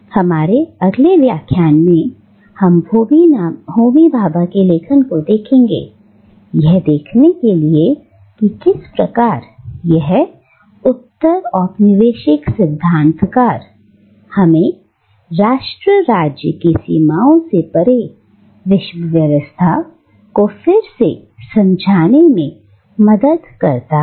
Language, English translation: Hindi, In our next Lecture, we will take up the writings of Homi Bhabha, to see how this leading postcolonial theorist, helps us re conceptualise the world order beyond the narrow confines of the nation state